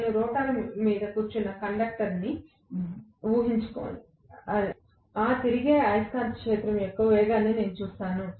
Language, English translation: Telugu, Okay, imagine I am a conductor sitting on the rotor, what will I see as the speed of that revolving magnetic field